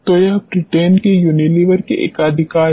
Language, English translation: Hindi, So, that is the monopoly of the Unilever of UK